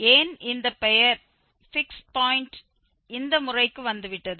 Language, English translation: Tamil, Why this fix point name is, name has come for this method